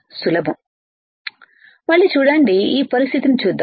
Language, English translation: Telugu, See again let us see this condition